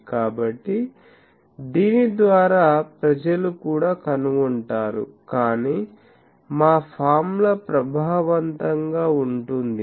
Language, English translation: Telugu, So, by that also people find out, but our that formula is effective